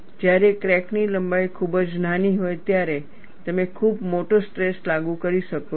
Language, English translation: Gujarati, When the crack length is very small, you could apply a very large stress